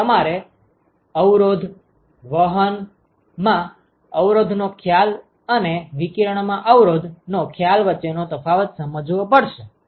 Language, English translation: Gujarati, So, you have to understand the distinction between the resistance, concept of resistance in conduction and concept of resistance in radiation